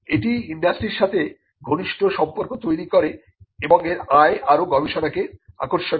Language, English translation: Bengali, It builds closer ties with the industry and it generates income for further research